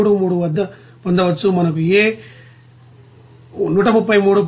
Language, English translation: Telugu, 33 we are getting A is 133